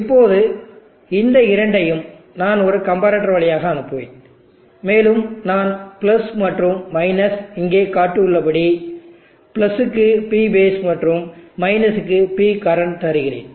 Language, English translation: Tamil, Now these two I will pass it through a comparator, and I will give the + and – as shown here P base to the + and P current to the